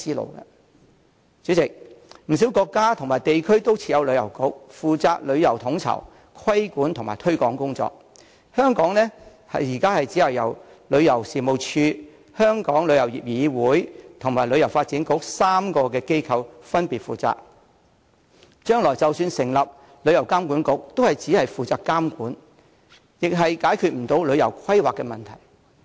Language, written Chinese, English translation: Cantonese, 代理主席，不少國家和地區都設有旅遊局，負責旅遊統籌、規管和推廣工作，香港現時卻由旅遊事務署、香港旅遊業議會和旅發局3個機構分別負責，將來即使成立旅遊監管局，也只是負責監管，解決不了旅遊規劃的問題。, Deputy President a Tourism Bureau can be found in many countries and places to coordinate regulate and promote the development of tourism but such duties are now respectively taken up by three organizations in Hong Kong namely the Tourism Commission the Travel Industry Council of Hong Kong and HKTB . The Travel Industry Authority TIA proposed to be established will only be tasked with trade regulation and issues concerning tourism planning will not be addressed